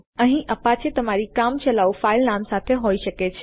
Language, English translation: Gujarati, Youll have apache here followed by your temporary file name